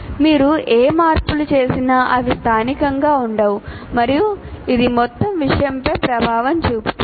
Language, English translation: Telugu, Whatever modifications you do, they will not remain local and it will have impact on the entire thing